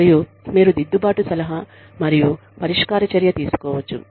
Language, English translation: Telugu, And, you can take corrective counselling and remedial action